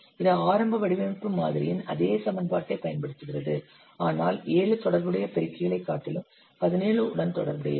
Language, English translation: Tamil, It uses the same formula as the early design model, but with 17 rather than 7 associated multipliers